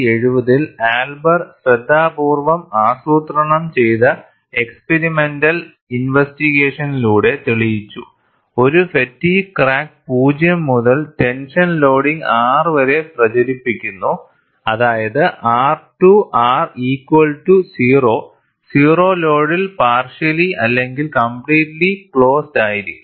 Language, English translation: Malayalam, Elber in 1970 demonstrated through a set of carefully planned experimental investigations, that a fatigue crack propagating under zero to tension loading, that is R to R equal to 0, might be partially or completely closed at zero load